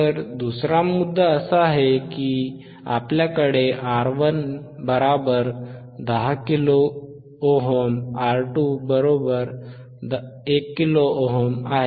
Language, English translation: Marathi, So, another point is, here we have R 1 equals to 10 kilo ohm, R 2 equals to 1 kilo ohm, right